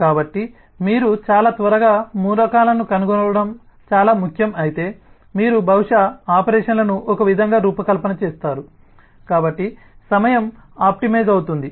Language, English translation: Telugu, so if it is important that you need to find the elements very quickly, then you will possibly design the operations in a way so the time is optimized, but you may be able to afford some space